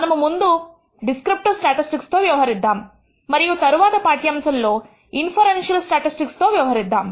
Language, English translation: Telugu, We will first deal with the descriptive statistics and in the next lecture we will deal with inferential statistics